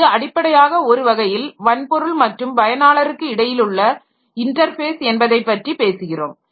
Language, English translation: Tamil, So, this is one type of, so this is basically in some sense we are talking about the interface between hardware and the user